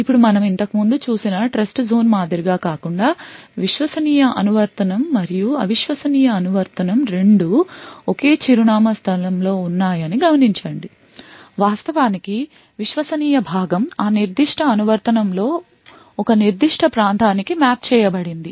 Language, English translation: Telugu, Now note that unlike the Trustzone we have seen earlier both the untrusted application and the trusted application are present in the same address space, in fact the trusted part is just mapped to a certain region within that particular application